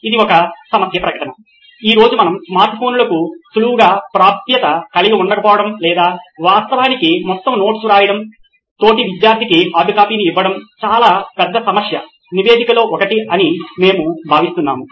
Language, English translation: Telugu, That is a problem statement definitely we feel today that not having easily having that easily accessibility to smart phones to do something like this or actually take down the entire notes and give a hard copy to the classmate is one of the huge problem statement